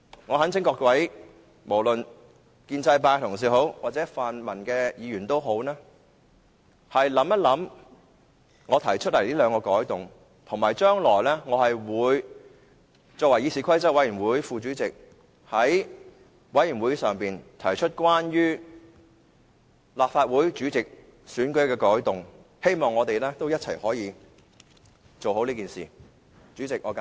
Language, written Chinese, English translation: Cantonese, 我懇請各位建制派同事或泛民同事考慮一下我提出的兩項修訂建議，而且我作為議事規則委員會副主席，將來會在委員會上提出關於立法會主席選舉的改動，希望大家可以一起做好這件事。, I urge pro - establishment Members and pan - democratic Members to consider my two proposed amendments . As the Deputy Chairman of the Committee on Rules of Procedure I will propose changes to the election of the President of the Legislative Council in the Committee in the hope that we can do a good job together